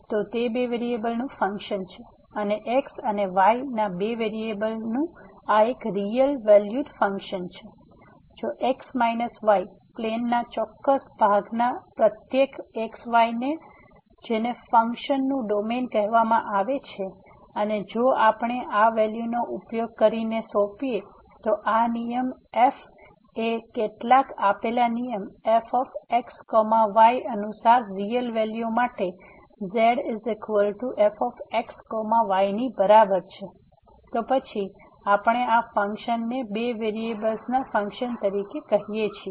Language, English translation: Gujarati, So, its a function of two variables and this is a real valued function of two variables and if to each of a certain part of x y plane which is called the domain of the function and if we assign this value using this rule is equal to is equal to to a real value according to some given rule ; then, we call this function as a Function of Two Variables